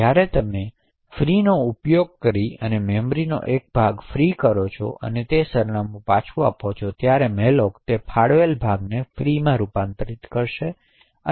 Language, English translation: Gujarati, Now when you free a chunk of memory using the call free and giving the address then malloc would actually convert that allocated chunk to a free chunk